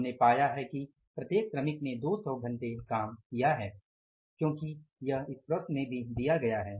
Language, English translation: Hindi, So we have found out that every worker has worked for 200 hours because it is given in the problem also